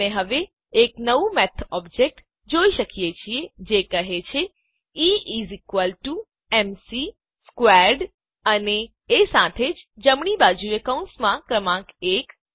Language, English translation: Gujarati, We are now seeing a new Math object that says E is equal to m c squared and along with that, the number one within parentheses, on the right